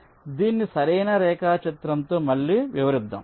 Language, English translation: Telugu, so lets lets explain this again with a proper diagram